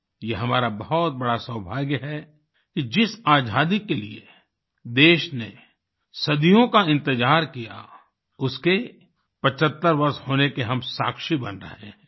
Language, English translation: Hindi, We are indeed very fortunate that we are witnessing 75 years of Freedom; a freedom that the country waited for, for centuries